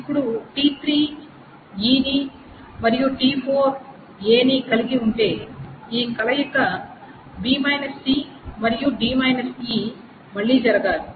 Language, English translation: Telugu, Now if t3 has e and t4 has a, then it must happen that this combination b c and d e must again take place